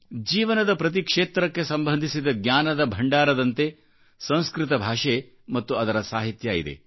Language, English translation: Kannada, Sanskrit language & literature encompasses a storehouse of knowledge pertaining to every facet of life